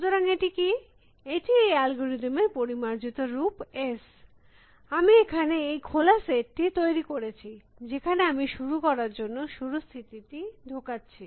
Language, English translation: Bengali, So, what is this, this refinement of this algorithm is s, I create this open set, set called open, in which I put the start state to begin with